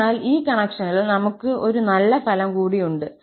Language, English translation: Malayalam, So, there, in this connection, we have one more nice result